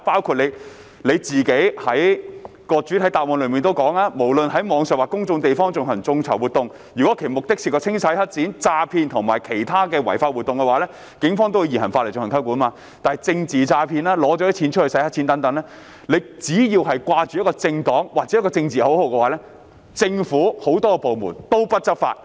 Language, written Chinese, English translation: Cantonese, 局長在主體答覆中提到："無論是在網上或公眾地方進行眾籌活動，若其目的牽涉清洗黑錢、詐騙及其他違法活動等，警方會以現行法例進行有關調查及起訴"，但若是政治詐騙或洗黑錢等，騙徒只需掛着政黨名號或打着政治口號，政府諸多部門便不願執法。, The Secretary states in the main reply Whether it is online or held in public places if the crowdfunding activities involve money laundering frauds and other unlawful acts the Hong Kong Police Force will investigate and prosecute in accordance with the existing laws and regulations . Yet in case of political frauds or money laundering many government departments are deterred from law enforcement once the fraudsters acted in the name of political parties or under political slogans